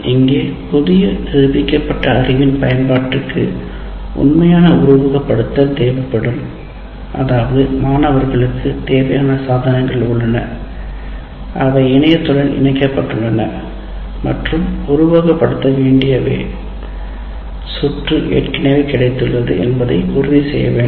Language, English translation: Tamil, So, here the application of the new demonstrated knowledge will require actual simulation, which means the students have the necessary devices with them and they are connected to the internet and already the circuit that needs to be simulated is already made available to them